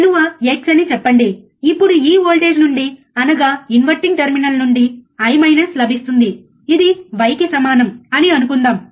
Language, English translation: Telugu, Let us say the value is x, then from this voltage which is inverting terminal you get I B minus which is equals to let us say y